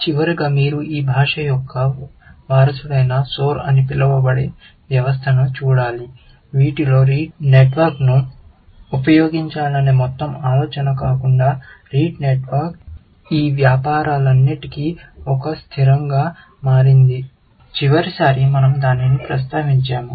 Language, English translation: Telugu, Finally, I should add that you should look up system called Soar, which is a successor of this language, which amongst, apart from this whole idea of using a Rete network; the Rete network has become like a fixture in all these business, I said, last time we have mentioned that